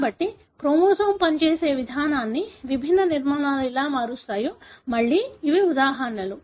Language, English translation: Telugu, So, again these are examples as to how different structures can alter the way the chromosome functions